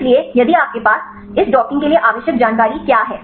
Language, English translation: Hindi, So, if you have the; what are the information required for this docking